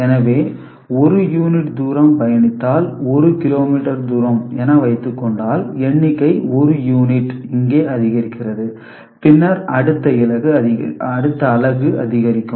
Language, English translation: Tamil, So, you have seen that if 1 unit distance is travelled – say, 1 kilometer distance is travelled, so the number gets increased by 1 unit over here ok, and then next unit and it gets incremented